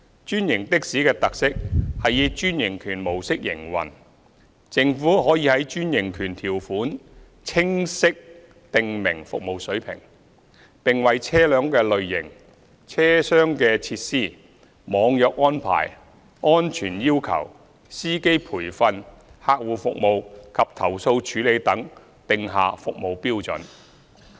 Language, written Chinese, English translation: Cantonese, 專營的士的特色是以專營權模式營運，政府可在專營權條款清晰訂明服務水平，並為車輛類型、車廂設施、"網約"安排、安全要求、司機培訓、客戶服務及投訴處理等定下服務標準。, A special feature of franchised taxis is operation through the franchise model . In the franchise terms the Government can clearly prescribe the service levels and set the service standards in respect of the vehicle types cabin facilities online hailing arrangements safety requirements training for drivers customer service handling of complaints etc